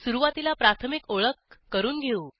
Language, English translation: Marathi, Let us start with an introduction